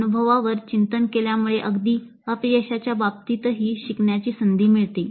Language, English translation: Marathi, So reflection on the experience could really lead to learning even in the case of failures